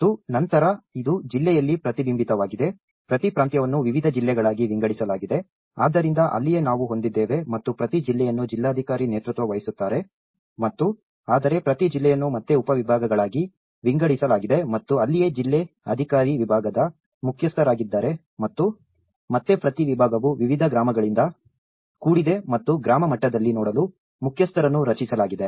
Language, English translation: Kannada, And then, it further is reflected in the district, each province is divided into different districts, so that is where we have and each district is headed by the district commissioner and whereas, each district is again divided into subdivisions and that is where the district officer has been heading the division and again each division is composed of different villages and the chief has been constituted to look at the village level